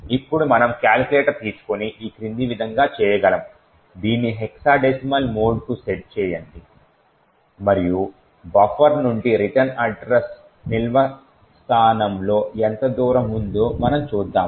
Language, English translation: Telugu, Now we would take our calculator we can do this as follows set it to the hexadecimal mode and we would see what is the distance from the buffer to where the return address is stored